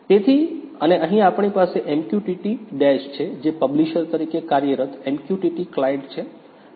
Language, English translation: Gujarati, So, and here we have MQTT Dash which is MQTT client working as a publisher